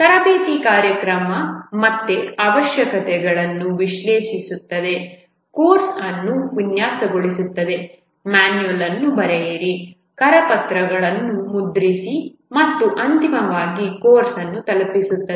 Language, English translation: Kannada, The training program again analyze the requirements, design the course, write the manual, print handouts and then finally deliver the course